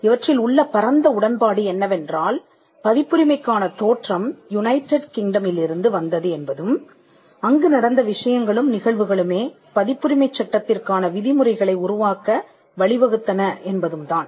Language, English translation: Tamil, So, there are different histories in copyright and the broad agreement is that the origin of copyright came from United Kingdom and the things and the events that happened in United Kingdom led to the creation of norms for copyright law